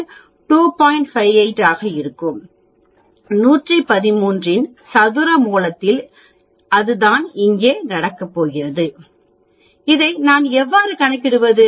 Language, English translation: Tamil, 58 in this case square root of 113 that is what is going to happen here